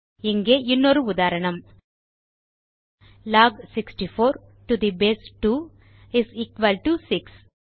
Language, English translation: Tamil, Here is another example: Log 64 to the base 2 is equal to 6